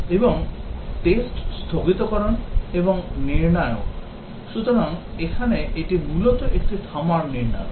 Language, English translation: Bengali, And test suspension and criteria, so here this is basically a stopping criteria